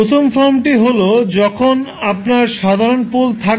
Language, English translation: Bengali, So, first form is when you have simple poles